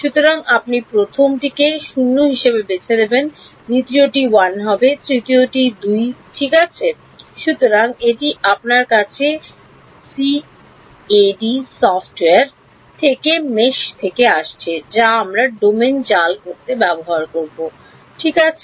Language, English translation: Bengali, So, you will choose the first one to be 0, the second one to be 1, the third one to be 2 ok; so, this coming to you from the mesh from the CAD software which we will use to mesh the domain ok